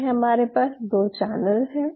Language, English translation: Hindi, So, we are having 2 channels now right